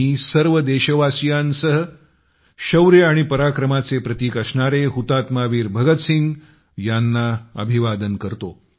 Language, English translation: Marathi, I join my fellow countrymen in bowing before the paragon of courage and bravery, Shaheed Veer Bhagat Singh